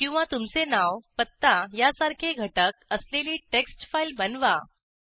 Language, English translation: Marathi, Or, create a text file with some content like your name, address